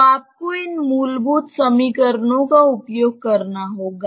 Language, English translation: Hindi, So, you have to use these fundamental equations